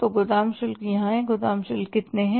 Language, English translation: Hindi, How much are the warehouse charges